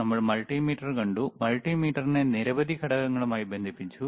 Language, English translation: Malayalam, Then we have seen multimeter, we have connected multimeter to several components